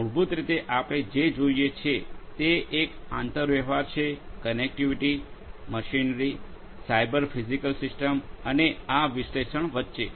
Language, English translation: Gujarati, So, basically what we see is there is an interplay between the connectivity, the machinery, the Cyber Physical Systems and this analytics